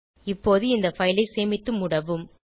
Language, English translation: Tamil, Now let us save this file and close it